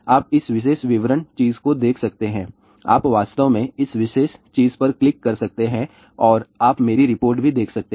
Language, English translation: Hindi, You can see this particular detail thing, you can actually see click on this particular thing and you can see my report also